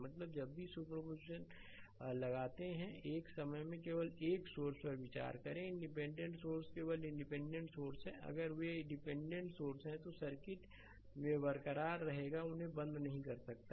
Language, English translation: Hindi, I mean whenever you applying super position, you consider only one source at a time independent source right only independent source if they dependent source, there will remain intact in the circuit right you cannot turn them off